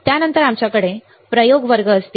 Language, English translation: Marathi, After that we will have the experiment classes